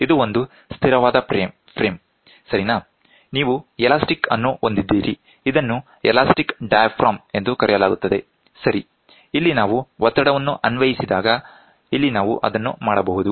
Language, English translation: Kannada, This is a fixed frame, ok, you have an elastic, this is called elastic diaphragm, ok so, here when we apply pressure, ok here can we do that